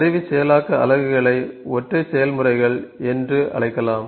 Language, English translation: Tamil, Tool processing units can be called as single processes